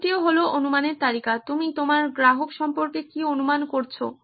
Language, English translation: Bengali, Next is also key is list of assumptions, what have you assumed about your customer